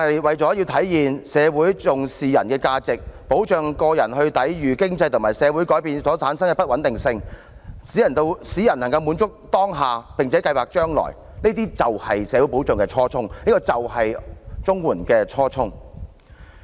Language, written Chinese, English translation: Cantonese, 為體現重視人的價值，保障個人抵禦經濟和社會改變所產生的不穩定性，使人能滿足當下並且計劃將來，這些便是社會保障的初衷，也是綜援的初衷。, The initial purposes of society security are to realize the importance we attach to the value of man and to protect individuals against the instabilities arising from economic and social changes so that people may gain satisfaction presently and plan for their future . These are also the initial purposes of the CSSA Scheme